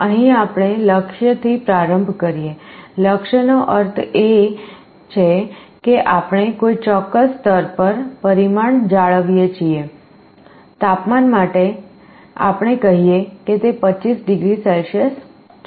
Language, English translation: Gujarati, Here we start with a goal, goal means we want to maintain the parameter at some particular level; for temperature let us say, it is 25 degrees Celsius